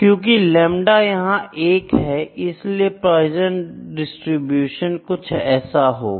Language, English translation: Hindi, So, lambda equal to 1, so lambda equal to 1 the distribution is somewhat like this